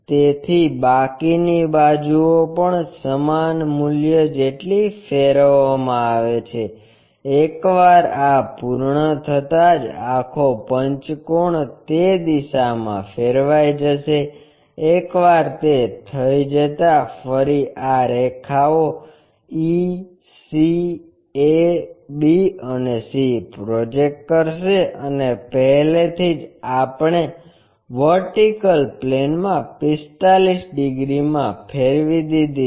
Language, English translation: Gujarati, So, remaining sides also rotated by the same amount, once that is done this entire pentagon will be turned into that direction, once that is done again project these lines from e, c, a, b and c and already we have rotated into 45 degreesin the vertical plane